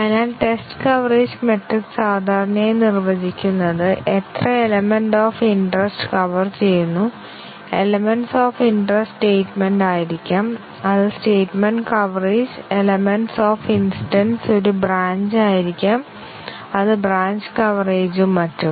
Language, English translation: Malayalam, So, the test coverage metric is typically defined by how many elements of interest are covered, the element of interest may be statements then we have statement coverage, the element of interest may be a branch and then we have branch coverage and so on